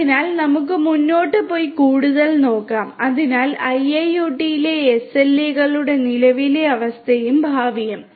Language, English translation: Malayalam, So, let us go ahead and look further, so the current status and future of SLAs in IIoT